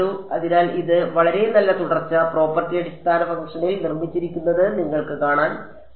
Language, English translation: Malayalam, So, you can see that its a very nice continuity property is built into the basis function